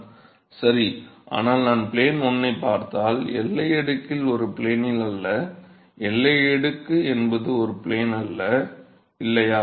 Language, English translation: Tamil, Right, but that is if I look at 1 plane, but boundary layer is not a plane, boundary layer is not a single plane, right